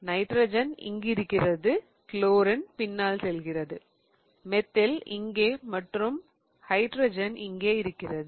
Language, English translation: Tamil, I form nitrogen here, chlorine going back, methyl here and hydrogen here